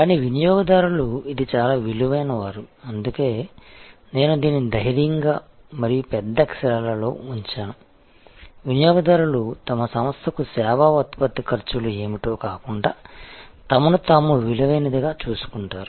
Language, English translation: Telugu, But customers this is veryÖ that is why, I have put this in bold and in bigger letters that customers care about value to themselves not what the service production costs are to the firm to your organization